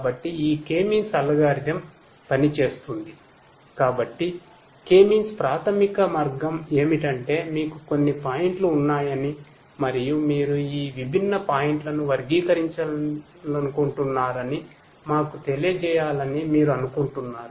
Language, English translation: Telugu, So, K means basically the way is that you want to let us say that you have let us say that you have certain points you have certain points and you want to classify these different points